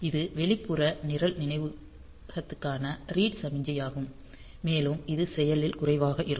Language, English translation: Tamil, This is the read signal for the external program memory and it is active low